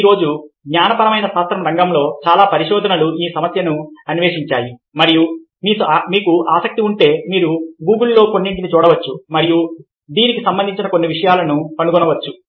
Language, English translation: Telugu, today, lot of research on co in co in field of cognitive sciences explored these issues and if you are interested, you can see some of google and find out some of things relevant to this